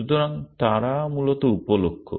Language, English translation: Bengali, So, those are the sub goals essentially